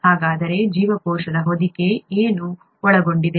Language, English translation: Kannada, So what does the cell envelope contain